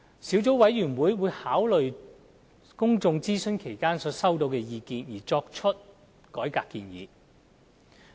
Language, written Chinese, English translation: Cantonese, 小組委員會在考慮公眾諮詢所收集的意見後，會作出改革建議。, Taking into account views collected during the public consultation the Sub - committee will make the recommendations on reform